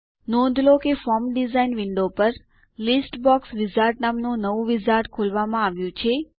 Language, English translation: Gujarati, Notice that a new wizard called List Box Wizard has opened up over the Form design window